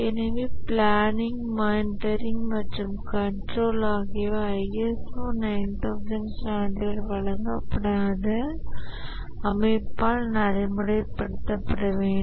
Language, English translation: Tamil, So, planning, monitoring and control should be practiced by the organization without which ISA 9,000 certification will not be given